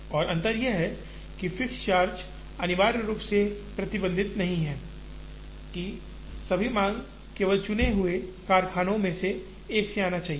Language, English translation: Hindi, And the difference is, fixed charge does not necessarily restrict, that all demand should only come from one of the chosen factories